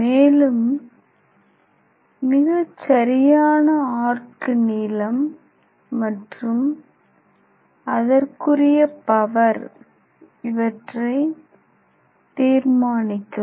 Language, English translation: Tamil, Now we have to find out the optimum arc length and optimum power